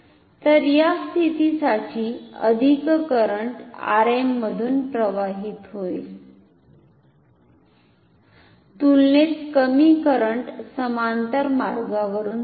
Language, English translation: Marathi, So, this for this position more current goes through R m less comparatively less current goes through the parallel path